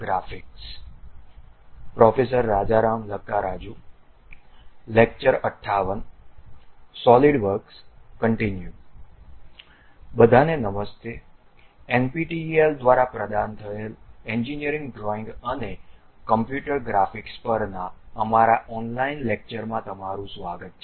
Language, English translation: Gujarati, ) Hello everyone, welcome to our online lectures on Engineering Drawing and Computer Graphics provided by NPTEL